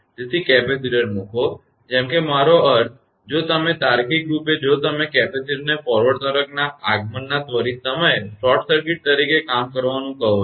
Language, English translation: Gujarati, So, put the capacitor like I mean if you if you logically if you try to put the capacitor acts as a short circuit at the instant of arrival of the forward wave